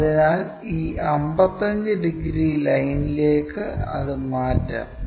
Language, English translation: Malayalam, So, let us transfer that all the way to this 55 degrees line